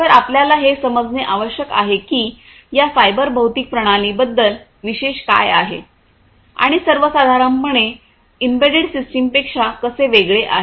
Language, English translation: Marathi, So, going back so, we need to understand that what is so, special about these cyber physical systems and how they differ from the embedded systems in general, all right